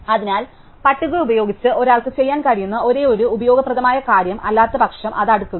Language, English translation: Malayalam, So, the only useful thing one can do with the list, otherwise is to should sort it